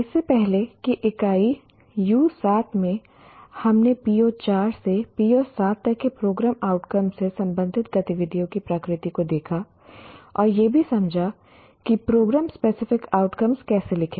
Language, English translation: Hindi, In our earlier unit unit U7, we looked at the nature of activities related to program outcomes, PO4 to PO7, and also understood how to write program specific outcomes